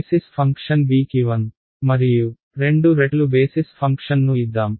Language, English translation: Telugu, Let us give it some value 1 and 2 times the basis function b